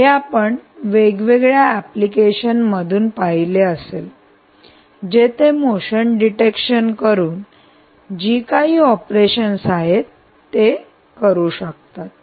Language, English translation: Marathi, you might have seen many, many applications where motion is actually detector, to do a few operations